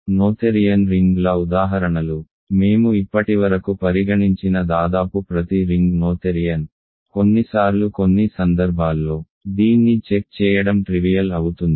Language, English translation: Telugu, Examples of Noetherian rings, almost every ring that we have considered so far is noetherian, sometimes it is in some cases it is trivial to check this